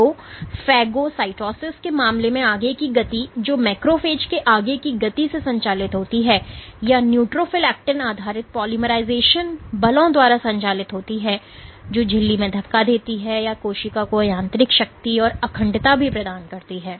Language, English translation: Hindi, So, in the case of phagocytosis the forward motion which is driven by forward motion of the macrophage or the neutrophil is driven by actin based polymerization forces which pushes that in the membrane, it also provides mechanical strength and integrity to the cell